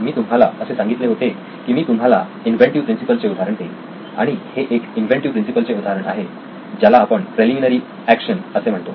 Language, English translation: Marathi, I promised to give you examples of inventive principles this is one of the inventive principles called preliminary action